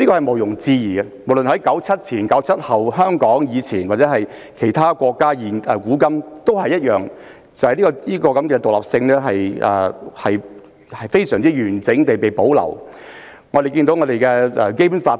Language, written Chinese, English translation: Cantonese, 無論是1997年之前或之後，在香港還是其他國家，古往今來，這方面的獨立性均非常完整地保留下來。, Both before and after 1997 and in Hong Kong and other countries independence in this regard has always been preserved intact through the ages